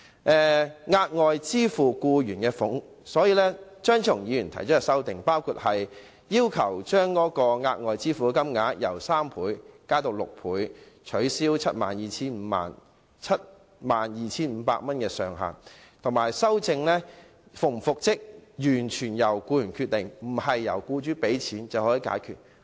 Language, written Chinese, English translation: Cantonese, 張超雄議員提出修正案，要求將額外款項的款額從僱員每月平均工資的3倍增至6倍、取消 72,500 元的上限，以及規定復職與否完全由僱員決定，不能由僱主付款便解決。, Dr Fernando CHEUNGs amendments seek to increase the further sum from three times the employees average monthly wages to six times remove the ceiling of 72,500 and stipulate that reinstatement or otherwise should be decided solely by the employee and the employer cannot pay money to evade reinstatement